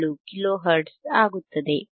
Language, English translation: Kannada, 477 kilo hertz